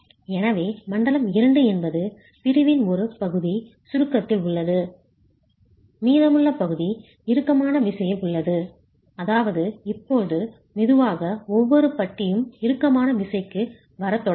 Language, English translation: Tamil, So zone two is where part of the section is in compression, the rest of the section is in tension which means now slowly each bar will start coming into tension